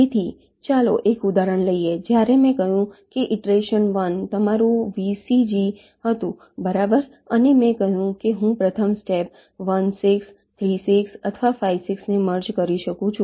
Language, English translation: Gujarati, when iteration one, as i have said, this was your vcg right, and i said i can merge one, six, three, six or five, six in the first step